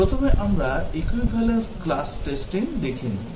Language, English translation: Bengali, First, let us look at the equivalence class testing